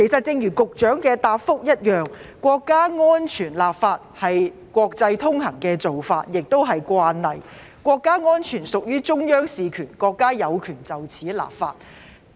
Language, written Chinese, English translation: Cantonese, 正如局長的答覆提及，國家安全立法是國際通行的做法和慣例，國家安全屬於中央事權，國家有權就此立法。, As indicated in the Secretarys reply it is a common and international practice to legislate on national security which is a matter under the purview of the Central Authorities and our country has the right to legislate on this